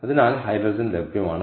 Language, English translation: Malayalam, so hydrogen is available